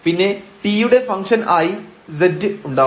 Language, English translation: Malayalam, So, z is a function of x and y